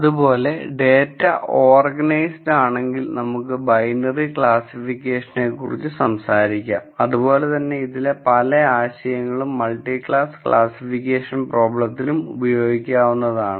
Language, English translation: Malayalam, Now, if the data is organized, let us talk about just binary classification problem and many of these ideas translate to multi class classification problems